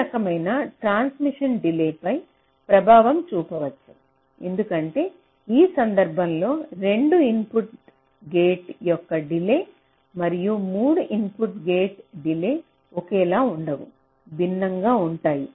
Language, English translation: Telugu, so this kind of a transmission may also have an impact on the delay, because in this case the delay of a two input gate and a delay of three input gate will not be the same, they will be different